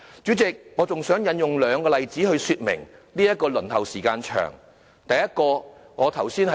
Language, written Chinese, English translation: Cantonese, 主席，我還想以兩個例子來說明輪候時間長的問題。, President I still wish to illustrate the problem of long waiting time with the help of two examples